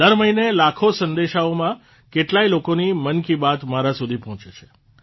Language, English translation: Gujarati, Every month, in millions of messages, the 'Mann Ki Baat' of lots of people reaches out to me